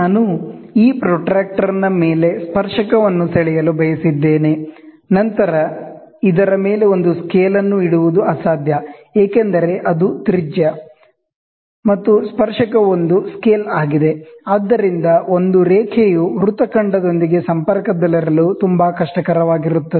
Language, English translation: Kannada, Suppose if I wanted to draw on top of this protractor, I wanted to draw a tangent, then placing a scale on top of this will be next to impossible, because it is radius, and tangent is a scale, so it will be very difficult for a for a line to stay in contact with the arc, so you will get only a point